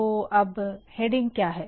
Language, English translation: Hindi, Now, what is a heading